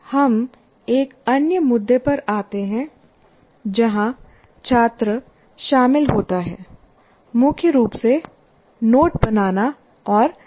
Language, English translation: Hindi, Next we come to another issue where the student is involved, mainly note making and summarization